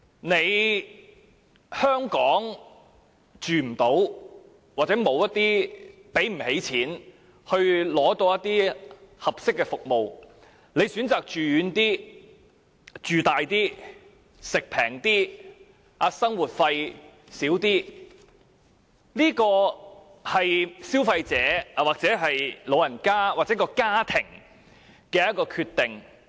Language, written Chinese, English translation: Cantonese, 如果長者無法在香港安老或無法負擔香港的安老服務，因而選擇到偏遠、面積大、飲食便宜、生活費少的地方居住，這是消費者或長者及他們的家庭的決定。, If an elderly person cannot afford to retire in Hong Kong or cannot afford the elderly care services here and chooses to live in a distant place where the living area is spacious the food is cheap and the cost of living is low it is the decision of the elderly person and his family as consumers to do so